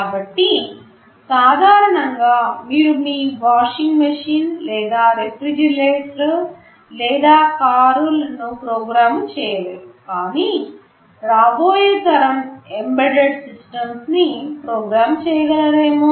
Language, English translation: Telugu, So, normally you cannot program your washing machine or refrigerator or a car, but maybe tomorrow with the next generation embedded systems coming, you may be able to program them also